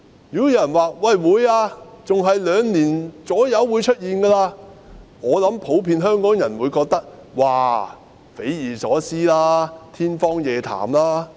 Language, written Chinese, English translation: Cantonese, 如果有人說會，還要在兩年左右便會出現，我想普遍香港人會認為是匪夷所思和天方夜譚。, If someone said yes this could happen and what is more it would happen two years down the line I think Hongkongers in general would consider it inconceivable and ludicrous